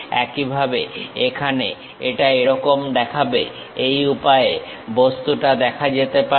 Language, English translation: Bengali, Similarly, here it looks like this is the way the object might look like